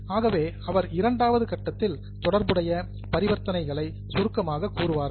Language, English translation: Tamil, So, the second step is summarizing the related transactions